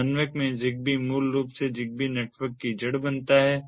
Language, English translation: Hindi, the zigbee in the coordinator basically forms the root of the zigbee network